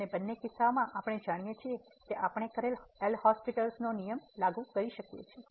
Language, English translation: Gujarati, And in either case we know that we can apply the L’Hospital rule